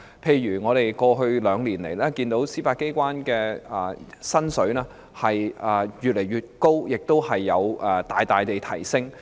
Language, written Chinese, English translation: Cantonese, 例如過去兩年來，我們看到司法機構人員的薪金一直有所增加，亦已大幅提升。, For example over the past two years we have seen that the salaries for judicial officers have been increasing and the increase is substantial